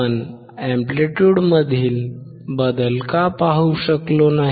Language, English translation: Marathi, Why we were not able to see the change in the amplitude